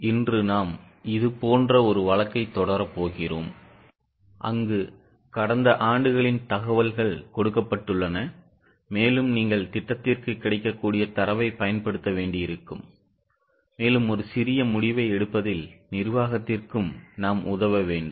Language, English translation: Tamil, Today we are going to continue with a similar type of case where last year's information is given and you will have to use the data available for projection and we will have to also help management in taking a small decision